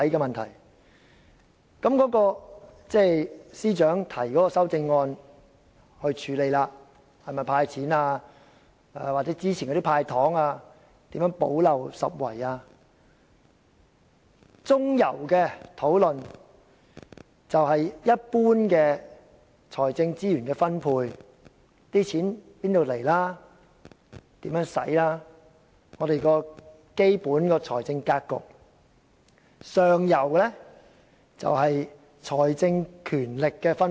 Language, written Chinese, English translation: Cantonese, 現時司長已提出修正案，提出"補漏拾遺"的"派錢"方案；中游的討論，是有關一般財政資源的分配，例如錢從何來、如何運用，這是我們的基本財政格局；上游則關乎財政權力的分配。, The Financial Secretary now proposes a gap - plugging amendment to dole out money . The midstream level is about the distribution of financial resources in general such as where does the money come from and how it should be used which is concerned with our basic financial planning . The upstream level is about the distribution of financial powers